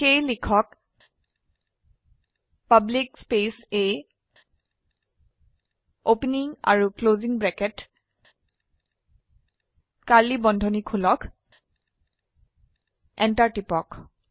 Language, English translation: Assamese, So type public A opening and closing brackets, open the curly brackets press Enter